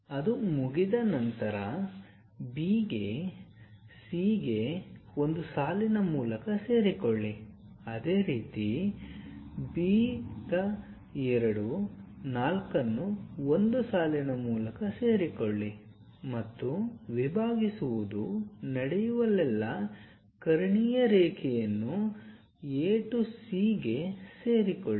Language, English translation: Kannada, Once that is done join B to C by a line similarly join B 2 4 by a line and join A to C the diagonal line wherever this intersection is happening call that point as 2 and 1